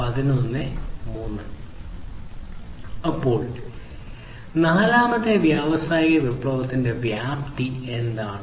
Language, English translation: Malayalam, So, what is the scope of the fourth industrial revolution